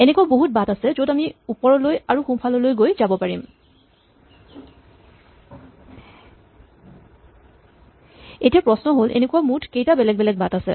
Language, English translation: Assamese, There are many different ways in which we can choose to make this up and right moves and the question is, how many total such different paths are there